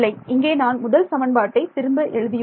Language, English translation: Tamil, No I have just rewritten this first equation